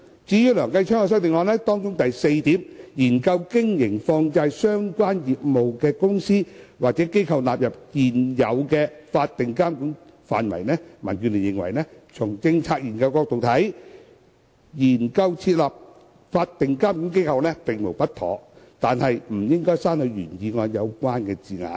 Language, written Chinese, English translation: Cantonese, 至於梁繼昌議員的修正案，當中第四點建議"研究將經營與放債相關業務的公司或機構納入現有法定機構的監管範圍"，民建聯認為，從政策研究角度來看，研究設立法定監管機構並無不妥，故不應刪去原議案的相關字眼。, As for Mr Kenneth LEUNGs amendment which proposes in point 4 the inclusion of companies or institutions engaged in money lending - related business into the regulatory ambits of existing statutory regulatory bodies DAB considers that from the angle of policy studies there is nothing wrong with exploring the establishment of a statutory regulatory body and so such wording in the original motion should not be deleted